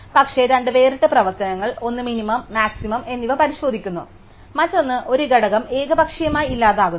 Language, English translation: Malayalam, But, two separate operations one which checks the minimum and maximum and one which deletes an element arbitrarily